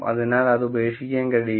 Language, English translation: Malayalam, So, it cannot drop out